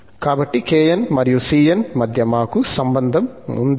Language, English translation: Telugu, So, we have this relation between kn and cn